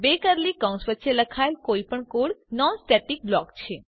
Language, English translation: Gujarati, Any code written between two curly brackets is a non static block